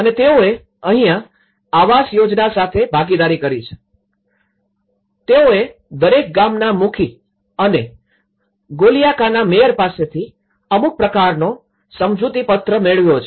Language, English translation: Gujarati, And they have partnership with the housing scheme and here, that they have established certain kind of memorandum of understanding with the head of the village; each village and also by the mayor of Golyaka